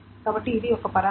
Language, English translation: Telugu, So this is what a parameter that is